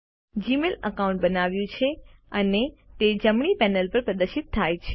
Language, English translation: Gujarati, The Gmail account is created and is displayed on the right panel